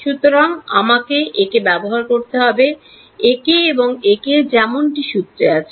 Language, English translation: Bengali, So, I have to use this guy, this guy and this guy as per the formula